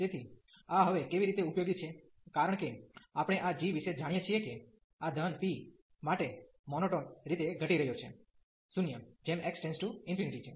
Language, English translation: Gujarati, So, how this is useful now, because we know about this g that this is monotonically decreasing to 0 as x approaches to infinity for this p positive